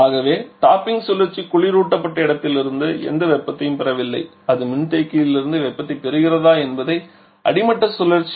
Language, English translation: Tamil, So, the topping cycle is not receiving any heat from the refrigerated space whether it is receiving heat only from the condenser of the bottoming cycle